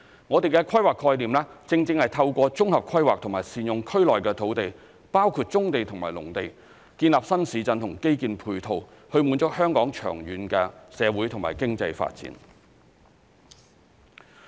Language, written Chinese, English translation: Cantonese, 我們的規劃概念，正正是透過綜合規劃及善用區內的土地，包括棕地和農地等，建立新市鎮和基建配套，以滿足香港長遠的社會和經濟發展。, Our planning concept is precisely to build new towns and ancillary infrastructure by means of comprehensive planning and utilizing land available in the area including brownfield sites and agricultural lands to meet the long - term social and economic development needs of Hong Kong